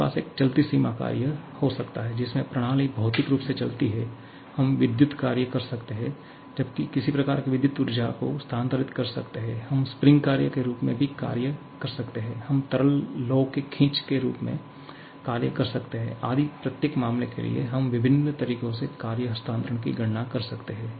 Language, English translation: Hindi, We can have a moving boundary work like the boundary of the system physically moves, we can have electrical work whereas transfer some kind of electrical energy, we can have also work in the form of spring action, work in the form of a stretching of liquid flame etc